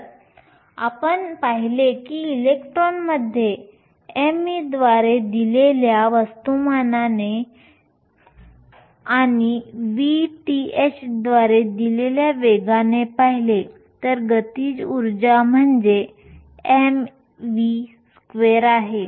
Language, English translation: Marathi, If we look at in electron with a mass given by m e and velocity that is given by v t h then the kinetic energy is nothing, but one half m v square